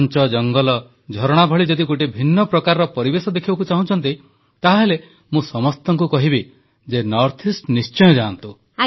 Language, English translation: Odia, Dense forests, waterfalls, If you want to see a unique type of environment, then I tell everyone to go to the North East